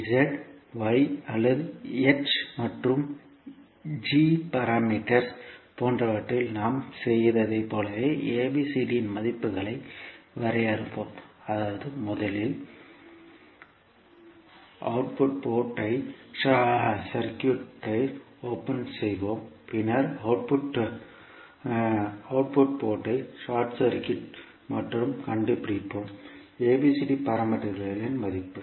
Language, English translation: Tamil, We will define the values of ABCD similar to what we did in case of Z Y or in case of H and G parameters, means we will first open circuit the output port and then we will short circuit the output port and find out the value of ABCD parameters